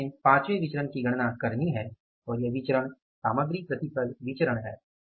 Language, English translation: Hindi, Now the fifth variance we have to calculate and that variance is the material yield variance